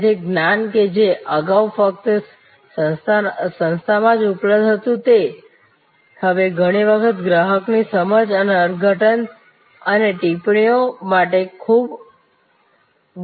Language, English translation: Gujarati, So, knowledge that was earlier only available within the organization is now often put out for understanding and interpretation and comments from the customer